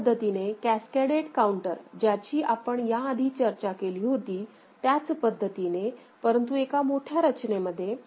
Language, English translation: Marathi, So, this is the way the cascaded counter that we have discussed before, the same thing in a bigger framework ok